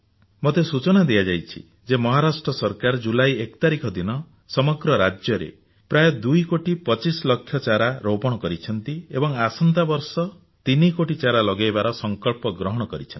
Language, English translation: Odia, I have been told that the Maharashtra government planted about 2 crores sapling in the entire state on 1st July and next year they have taken a pledge to plant about 3 crores trees